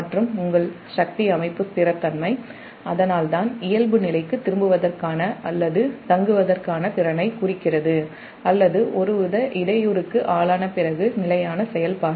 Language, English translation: Tamil, so thats why that power and your power system stability, thats why implies that is ability to return to normal or stay or stable operation after having been subjected to some form of disturbance